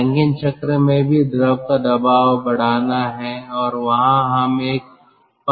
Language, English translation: Hindi, in rankine cycle also, fluid pressure is to be increased, and there we are having a pump